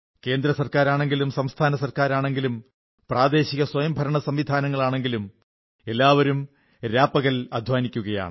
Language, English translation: Malayalam, From the centre, states, to local governance bodies, everybody is toiling around the clock